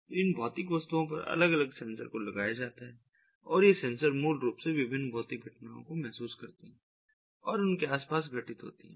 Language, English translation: Hindi, so these physical objects are fitted with different sensors and these sensors basically ah sense different physical phenomena that are occurring around them